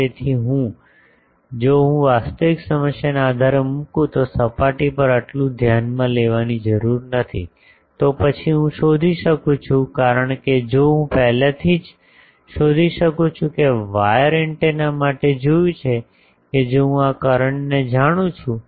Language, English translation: Gujarati, So now, I need not consider this so over the surface if I put based on the actual problem; then I can find out because if I can find out already we have seen for wire antennas that if I know this current